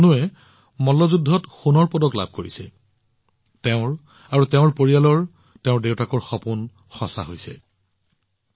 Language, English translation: Assamese, By winning the gold medal in wrestling, Tanu has realized her own, her family's and her father's dream